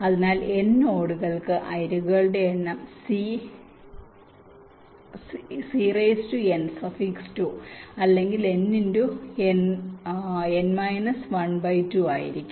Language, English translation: Malayalam, so for n nodes the number of edges will be n, c, two for n into n minus one by two